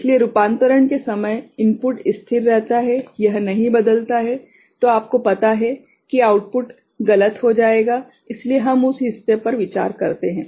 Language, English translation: Hindi, So, that the input remains stable during the time of conversion, it does not change then you know the output will become erroneous so, that part we consider that is there